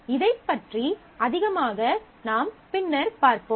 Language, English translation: Tamil, We will see this more later